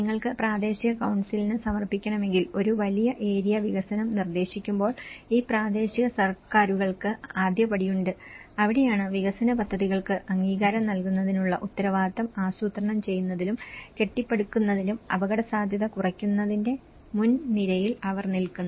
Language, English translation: Malayalam, These local governments they have the first step when you propose something a large area development if you want to submit to the local council and that is where they are in the front line of the risk reduction in planning and building responsible for approving the development projects